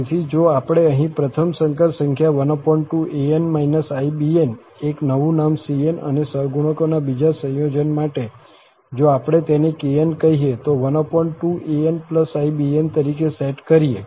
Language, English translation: Gujarati, So, if we set here for this first complex number half an minus ibn, a new number, new name cn, and for the second, this combination of the coefficients, if we call it kn as half an plus ibn